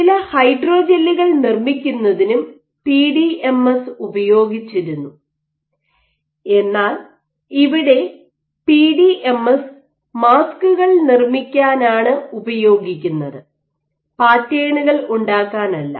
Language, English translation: Malayalam, So, this was PDMS was also used for making some of the gels, hydrogels, but in this case PDMS is used for making the masks not the you know the patterns